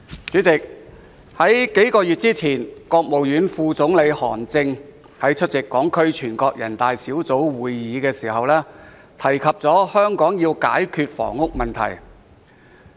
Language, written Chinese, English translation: Cantonese, 主席，數月前，國務院副總理韓正在會見港區全國人大代表時提到，香港要解決房屋問題。, President a few months ago during a meeting with Hong Kong deputies to the National Peoples Congress Vice Premier of the State Council HAN Zheng mentioned that the housing problem in Hong Kong needed to be solved